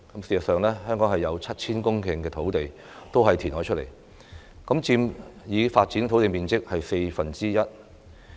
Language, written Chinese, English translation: Cantonese, 事實上，香港有 7,000 公頃土地都是填海得來，佔已發展土地面積四分之一。, As a matter of fact 7 000 hectares of land in Hong Kong that is one quarter of the developed area were acquired through reclamation